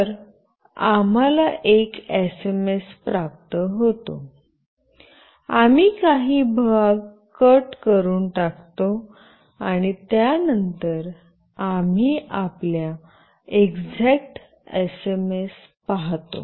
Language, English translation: Marathi, So, we receive an SMS, we cut out some portion, and then we see the exact SMS with us